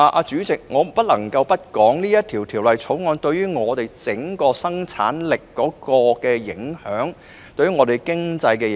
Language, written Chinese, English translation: Cantonese, 主席，我不得不談《條例草案》對香港整體生產力及對本地經濟的影響。, President I have to talk about the impact of the Bill on Hong Kongs overall productivity and the local economy